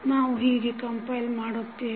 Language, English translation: Kannada, How we will compile